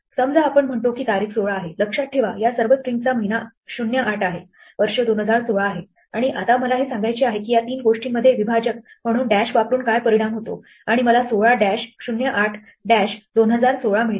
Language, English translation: Marathi, Supposing, we say date is 16, remember these are all strings month is 08, year is 2016, and now I want to say what is the effect of joining these three things using dash as separator and I get 16 dash 08 dash 2016